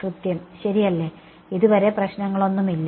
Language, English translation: Malayalam, Exact right, so far no issues